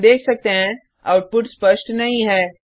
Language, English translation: Hindi, As we can see t he output is not clean